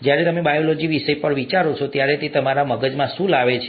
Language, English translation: Gujarati, When you think of ‘Biology’, what does it bring to your mind